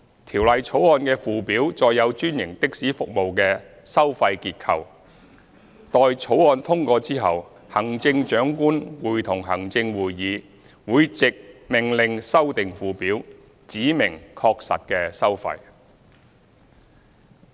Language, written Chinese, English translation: Cantonese, 《條例草案》的附表載有專營的士服務的收費結構，待《條例草案》通過後，行政長官會同行政會議會藉命令修訂附表，指明確實的收費。, The Schedule to the Bill contains the fare structure of franchised taxi services . After the passage of the Bill the Chief Executive in Council will amend the Schedule by order to specify the actual fares